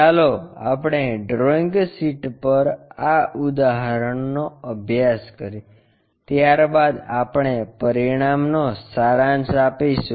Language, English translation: Gujarati, Let us practice this example on the drawing sheet after that we will summarize the finding